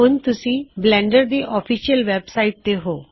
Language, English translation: Punjabi, This should take you to the official blender website